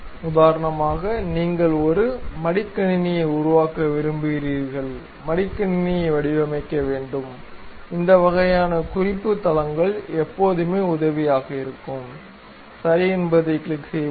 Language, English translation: Tamil, For example, you want to make a laptop, design a laptop; then this kind of reference planes always be helpful, let us click ok